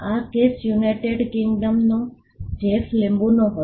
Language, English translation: Gujarati, This case was in the United Kingdom the Jeff lemon case